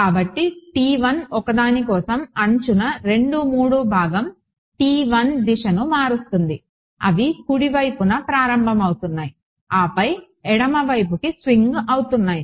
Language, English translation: Telugu, So, T 1 along edge 2 3 component of T 1 well for one is changing direction ones is starting out on the right then swinging to the left hand side